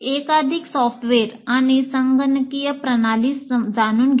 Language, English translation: Marathi, Learn multiple software and computational systems